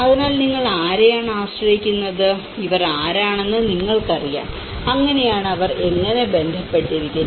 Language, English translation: Malayalam, So, whom are you more relied of it you know, who are these, so that is how, how they are connected with it